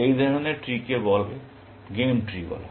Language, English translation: Bengali, Such a tree is called a game tree